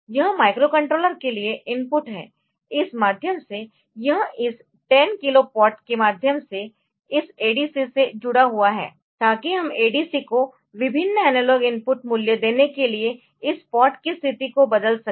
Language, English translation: Hindi, This is input to the microcontroller by means of this it is connected to this connected to this ad ADC by means of this 10 kilo pot so that we can change this pot position to give different analog input values to the ADC